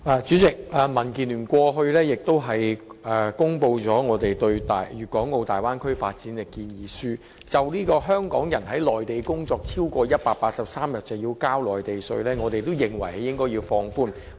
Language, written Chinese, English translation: Cantonese, 主席，民建聯過去曾發表我們對粵港澳大灣區發展的建議書，就香港人在內地工作超過183天便須繳付內地稅的規定，我們認為應該要放寬。, President in the past DAB has presented its proposal on the development of the Bay Area . In our view the requirement for Hongkongers who have worked on the Mainland for over 183 days to pay the Mainland tax should be relaxed